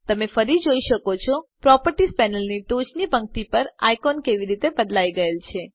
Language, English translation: Gujarati, Again, you can see how the icons at the top row of the Properties panel have changed